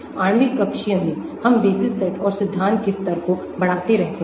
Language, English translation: Hindi, In molecular orbital, we can keep increasing the basis set and level of theory